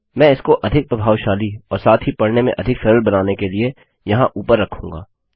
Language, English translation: Hindi, Ill put this up here to be more efficient and easy to read as well